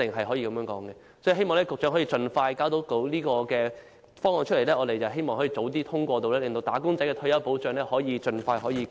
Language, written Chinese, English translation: Cantonese, 所以，我希望局長能夠盡快提交方案，讓我們早日通過，令"打工仔"的退休保障盡快得到改善。, I hope the Secretary can submit the proposal expeditiously for early passage so that the retirement benefits enjoyed by wage earners can be improved early